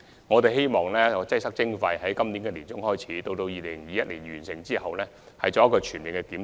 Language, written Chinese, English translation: Cantonese, 我們希望在今年年中開展"擠塞徵費"研究，及至2021年完成後再進行全面檢討。, We hope that the study on congestion charging can commence in the middle of this year and be completed in 2021 when a comprehensive review will be carried out afterwards